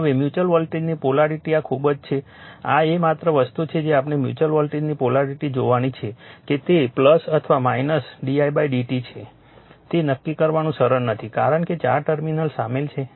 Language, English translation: Gujarati, Now, the polarity of mutual voltage this is very this is the only thing we have to see the polarity of mutual voltage whether it is plus or minus M d i by d t is not easy to determine , because 4 terminals are involved right